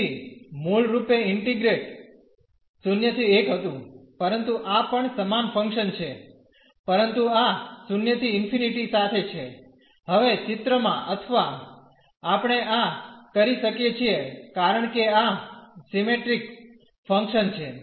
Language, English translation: Gujarati, So, in the original integrate was 0 to 1, but this is also the same function, but having this 0 to infinity now, into the picture or we can because this is a symmetric function